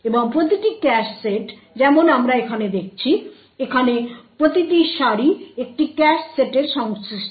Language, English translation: Bengali, And each cache set as we see over here, each row over here corresponds to a cache set